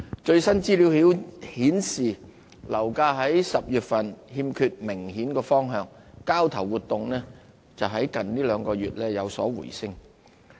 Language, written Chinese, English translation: Cantonese, 最新資料顯示，樓價在10月欠缺明顯方向，交投活動則在近兩個月有所回升。, According to the latest information property prices did not show a clear direction in October while transactions saw an upturn in the past two months